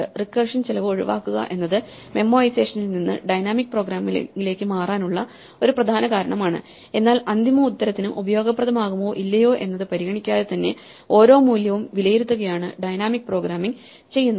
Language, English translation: Malayalam, So, saving on recursion is one important reason to move from Memoization to dynamic programming, but what dynamic programming does is to evaluate every value regardless of whether its going to be useful for the final answer or not